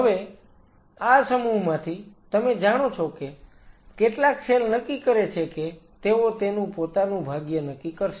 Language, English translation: Gujarati, Now from this mass some of the cells decided that you know they will decide their own fate